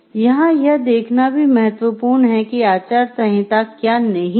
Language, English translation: Hindi, It is also important to look into what code of ethics is not